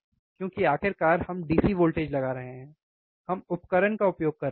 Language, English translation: Hindi, Because finally, we are applying DC voltage, we are applying voltage, we are using the equipment